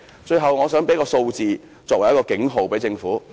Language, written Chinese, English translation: Cantonese, 最後，我想以一組數字作為給政府的警號。, Finally I would like to sound an alarm to the Government by means of a group of figures